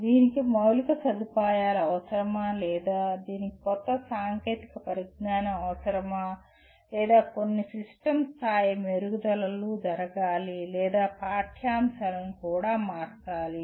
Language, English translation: Telugu, Does it require infrastructure or does it require use of a new technology or some system level improvements have to take place or the curriculum itself has to be altered